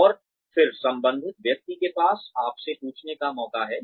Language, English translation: Hindi, And then, the person concerned has a chance to ask you